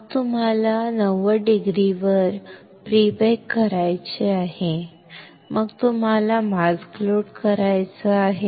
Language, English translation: Marathi, Then what you have to do pre bake at 90 degree, then what you have to do load the mask